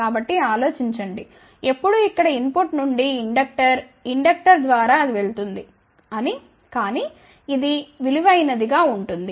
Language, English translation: Telugu, So, now, think about when the input is coming from here inductor, through the inductor it will go through , but then this is preciously shorted